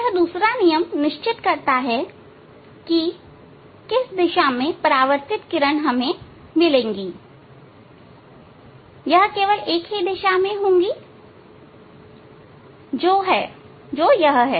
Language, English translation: Hindi, This second law is fixing that in which direction we will get the reflected ray, it will be only in one direction